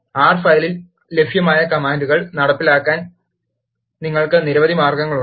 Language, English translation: Malayalam, There are several ways you can execute the commands that are available in the R file